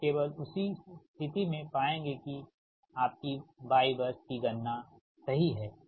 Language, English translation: Hindi, only in that case will assume that your y bus calculation is correct, right